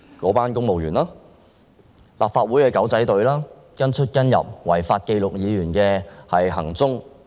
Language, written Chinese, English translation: Cantonese, 在立法會內的"狗仔隊""跟出跟入"，違法記錄議員行蹤。, The paparazzi in the Legislative Council tail Members wherever they go and make illegitimate records of Members movements